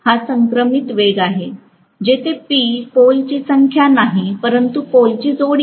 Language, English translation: Marathi, It is the synchronous speed, where P is the number of poles not pairs of poles